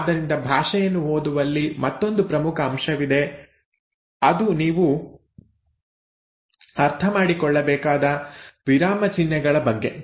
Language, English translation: Kannada, So there is another important aspect in the reading of language that you have to understand is about punctuations